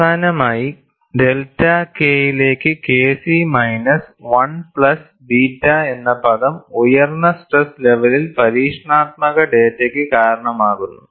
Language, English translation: Malayalam, Finally, the term K c minus1 plus beta into delta K, accounts for experimental data at higher stress levels